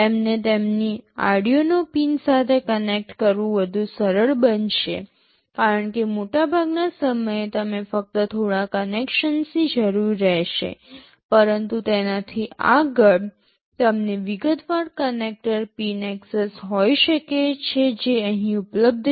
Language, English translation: Gujarati, Having them connected to their Arduino pins will be easier because, most of the time you will be needing only a few connections, but beyond that you may have to have access to the detailed connector pins which are available here